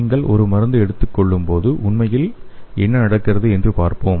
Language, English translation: Tamil, Let us see what really happens when you take a drug